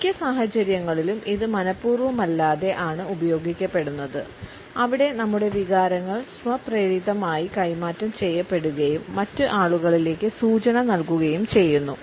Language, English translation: Malayalam, In most of the situations it is an unintention use where our feelings and our emotions are automatically transmitted and signal to other people